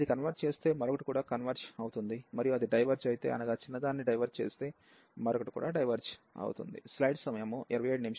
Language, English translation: Telugu, If this converges, the other one will also converge; and if that diverge the smaller one if that diverges, the other one will also diverge